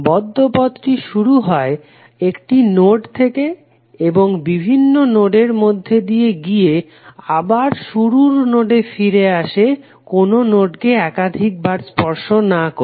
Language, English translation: Bengali, The closed path formed by starting at a node, passing through a set of nodes and finally returning to the starting node without passing through any node more than once